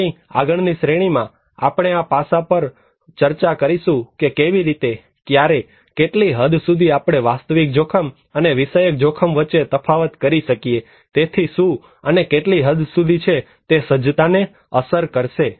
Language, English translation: Gujarati, In our next series, we will discuss on this aspect that how, when, what extent we can distinguish between objective risk and subjective risk and can we really do it, so and what and how extent it will affect the preparedness